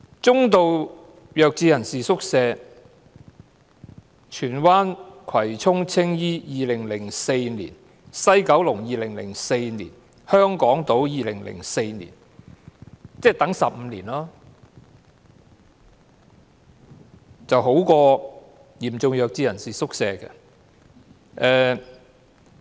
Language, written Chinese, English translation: Cantonese, 中度弱智人士宿舍方面，荃灣、葵涌、青衣、西九龍、香港島正處理2004年的申請，即是申請者要等候15年，較輪候嚴重弱智人士宿舍的情況為佳。, As for hostels for moderately mentally handicapped persons the ones in Tsuen Wan Kwai Chung Tsing Yi Kowloon West and Hong Kong Island are processing applications made in 2004 at the moment . This means that the applicants have to wait for 15 years but still it is much better than those waiting for a place in hostels for severely mentally handicapped persons